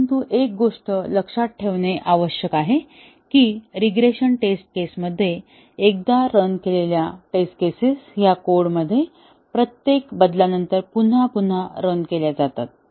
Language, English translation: Marathi, But, one thing that needs to be kept in mind that during regression test cases, the test cases which were run once they are run again and again after each change to the code